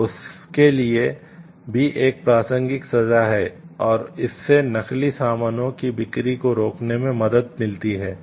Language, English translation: Hindi, So, there is a punishment relevant punishment for that also and this helps in stopping the sale of spurious goods